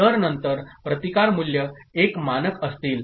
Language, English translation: Marathi, So, then the resistance values will be standard one